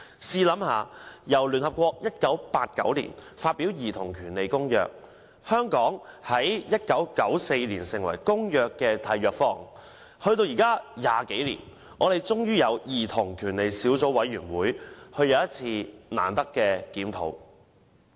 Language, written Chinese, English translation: Cantonese, 試想想，聯合國在1989年發表《公約》，香港在1994年成為《公約》的締約方，至今已20多年，我們才終於成立兒童權利小組委員會，有一次難得的檢討。, Come to think about this . The Convention was adopted by the United Nations in 1989 . It has been more than 20 years since Hong Kong became a contracting party to the Convention in 1994 but only now do we have a Subcommittee on Childrens Rights to conduct a most hard earned review